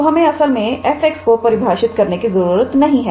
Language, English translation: Hindi, So, we do not have to define f x is actually this one